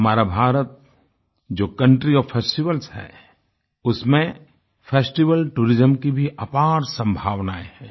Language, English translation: Hindi, Our India, the country of festivals, possesses limitless possibilities in the realm of festival tourism